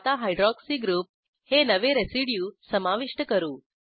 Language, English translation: Marathi, Lets now add a new residue Hydroxy group